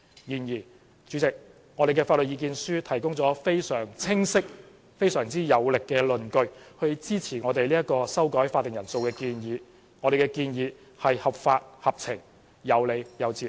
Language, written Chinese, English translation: Cantonese, 然而，我們的法律意見書提供了非常清晰有力的論據，支持我們修改會議法定人數的建議，我們的建議是合法合情、有理有節。, However the legal submission obtained by us provides clear and powerful justifications to support our proposal to revise the quorum . Our proposal is legal rational reasonable and justified